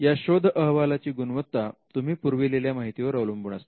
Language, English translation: Marathi, Now the search or the quality of the search will depend on the information that you have supplied